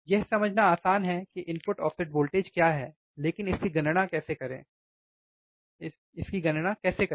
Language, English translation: Hindi, Easy easy to understand what is the input offset voltage, but how to calculate it, right how to calculate it